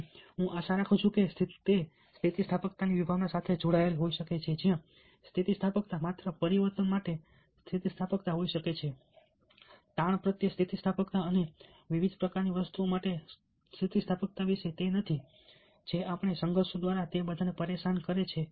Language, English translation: Gujarati, and i hope that it can get link to the concept of resilience, where resilience is not only about resilience to change, resilience to stress, resilience to the various kinds of things which trouble us, disturb us, conflicts and all that